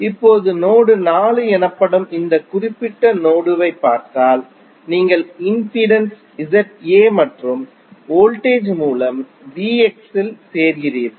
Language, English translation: Tamil, Now, if you see for this particular node called node 4 you are joining the impedance Z A and the voltage source V X